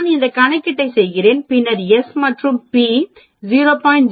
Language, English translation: Tamil, I do that calculation and then s p is less than 0